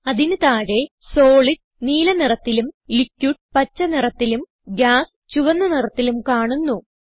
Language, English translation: Malayalam, Below you can see colors of Solid Blue, Liquid Green and Gas Red